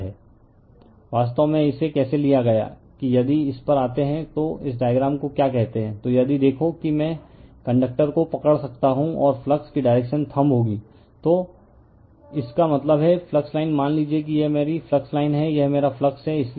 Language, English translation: Hindi, Actually, you how you have taken it that if you come to this your what you call this diagram, so if you look into that I could grabs the conductor and thumb will be direction of the flux right, so that means, flux line is suppose, this is my flux line, this is my flux